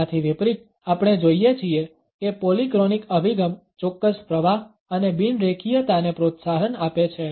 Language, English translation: Gujarati, In contrast we find that polychronic orientation encourages a certain flux and non linearity